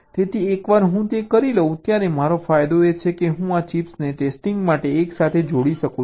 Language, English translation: Gujarati, ok, so once i do it, my advantages that i can connect this chips together for testing